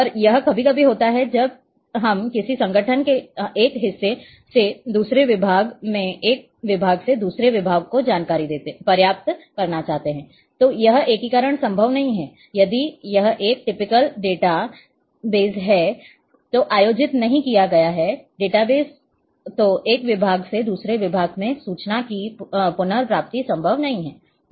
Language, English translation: Hindi, And it is sometimes when we want to retrieve the information from one section of a organization to another one department from another then this integration is not possible, retrieval of information from one department to another is not possible if it has not been organized in a typical database